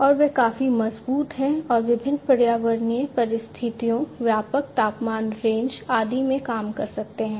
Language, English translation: Hindi, And they are quite robust and can operate in broad temperature ranges, under different varied environmental conditions and so on